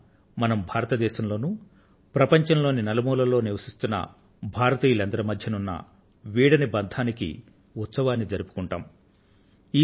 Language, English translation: Telugu, On this day, we celebrate the unbreakable bond that exists between Indians in India and Indians living around the globe